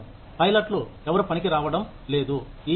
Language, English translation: Telugu, No pilots are coming into work, today